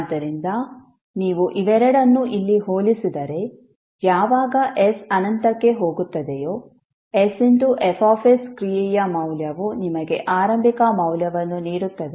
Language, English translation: Kannada, So if you compare both of them here when s tends to infinity the value of function s F s will give you with the initial value